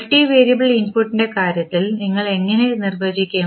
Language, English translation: Malayalam, How we will define in case of multivariable input